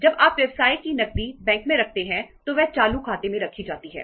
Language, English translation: Hindi, When you keep the business cash in the bank that is kept in the current account